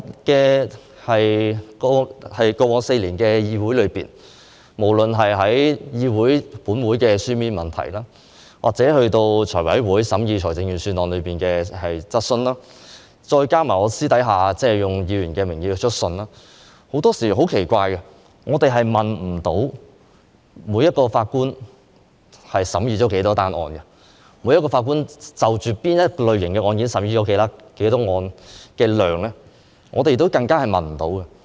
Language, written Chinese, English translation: Cantonese, 在過往4年，我透過立法會會議的書面質詢或財務委員會審議財政預算案的質詢，再加上我個人以議員的名義去信，作出很多查詢；但很奇怪，關於每名法官審議了多少宗案件，就某些類型的案件，每名法官所處理的案件數量等，我們都得不到答案。, Over the past four years I have raised a lot of enquiries through written questions during the Legislative Council meetings or questions in the meetings of the Finance Committee during the deliberation of the Budget as well as through letters issued in my capacity as a Member . However it is very weird that we were unable to get any answer concerning the number of cases heard by each judge and the number of cases of certain categories handled by each judge